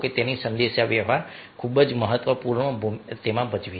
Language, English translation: Gujarati, so communication is playing very, very important role